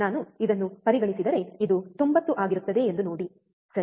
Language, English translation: Kannada, See if I consider this one this will be 90, right